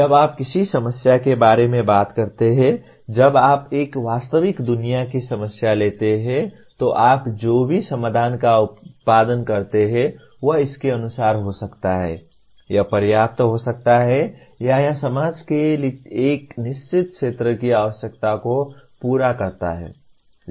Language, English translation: Hindi, When you talk about a problem, when you take a real world problem, whatever solution you produce, it may be as per the, it may be adequate or it meets the requirements of a certain segment of the society